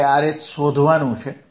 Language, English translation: Gujarati, I have to find R H